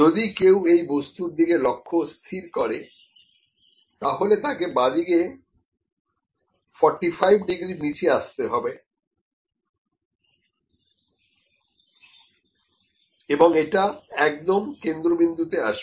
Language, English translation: Bengali, If someone is targeting this thing it has to just come below 45 degree towards left and it will come to the centre